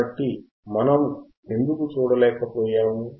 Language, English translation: Telugu, Why we were not able to see